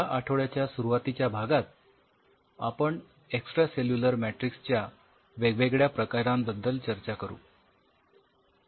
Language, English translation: Marathi, This week in the initial part we will be covering about the different kind of extracellular matrix